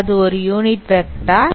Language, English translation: Tamil, This is a unit vector